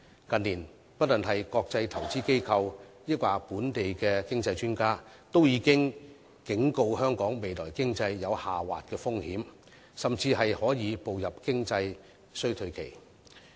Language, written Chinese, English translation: Cantonese, 近年，無論是國際投資機構或本地經濟專家，均已警告香港未來的經濟將有下滑的風險，甚至會步入經濟衰退期。, In recent years international investment institutions and local economic experts have warned that the outlook of Hong Kongs economy is subject to downside risks and a period of economic recession might begin